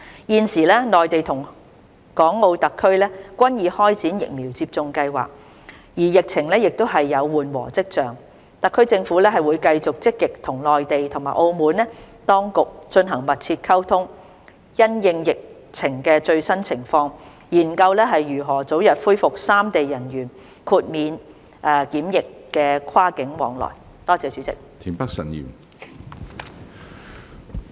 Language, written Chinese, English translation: Cantonese, 現時內地與港澳特區均已開展疫苗接種計劃，而疫情亦有緩和跡象，特區政府會繼續積極與內地及澳門當局進行密切溝通，因應疫情的最新情況，研究如何早日恢復三地人員豁免檢疫跨境往來。, The Mainland and the Hong Kong and Macao SARs have all begun vaccination programmes and there are signs that the epidemic situation is subsiding . The Hong Kong SAR Government will continue to maintain close liaison with the relevant Mainland and Macao authorities to consider the early resumption of cross - boundary quarantine - free flow of passengers amongst the three places having regard to the latest epidemic situation